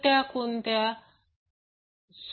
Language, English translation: Marathi, What is that